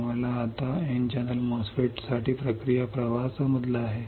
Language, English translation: Marathi, You have now understood the process flow for N channel MOSFET